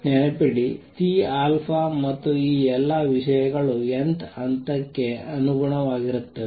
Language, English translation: Kannada, Remember, C alpha and all these things are corresponding to the nth level